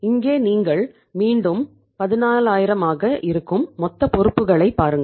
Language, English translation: Tamil, Here you look at the total liabilities that is again the 14000